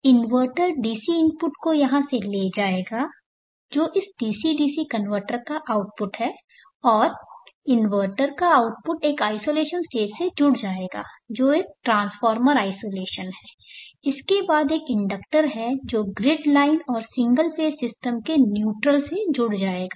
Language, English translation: Hindi, So the inverter will take the DC input from here with the output of this DC DC converter and the output of the inverter will get connected to an isolation stage which is a transformer isolation followed by an inductor which gets linked to the grid line and neutral of a single phase system